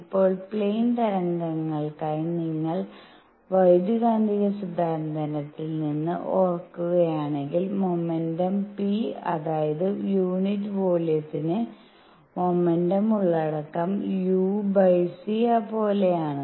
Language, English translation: Malayalam, Now for plane waves, if you recall from electromagnetic theory momentum p which is momentum content per unit volume is same as u over c